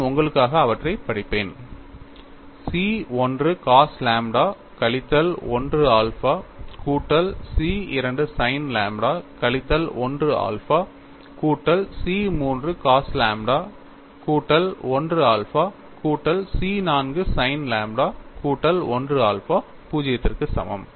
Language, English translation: Tamil, So, I get the second expression as C 1 cos lambda minus 1 alpha minus C 2 sin lambda minus 1 alpha plus C 3 cos lambda plus 1 alpha minus C 4 sin lambda plus 1 alpha that is equal to 0